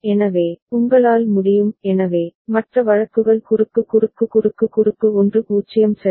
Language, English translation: Tamil, So, you will be able to so, other cases cross cross cross cross 1 0 ok